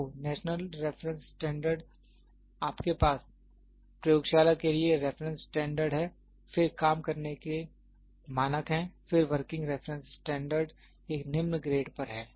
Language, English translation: Hindi, So, national reference standards, you have reference standards for laboratory, then working standards, then working reference standards at a lower grade